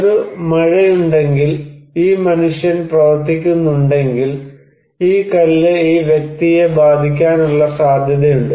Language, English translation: Malayalam, So, if there is a rain, if this human being is working, then there is a possibility that this stone will hit this person